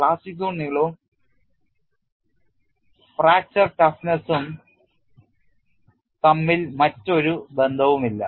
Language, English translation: Malayalam, There is no other correction between plastic zone length and fracture toughness